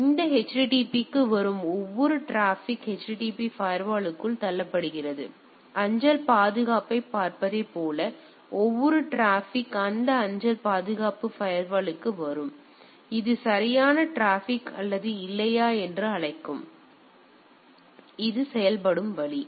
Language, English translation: Tamil, So, that is every traffic coming for this HTTP is pushed into the HTTP firewall right; like we look at the mail security every traffic come to that that mail security firewall which takes a call that whether it is a correct traffic or not right; so, that is the way it works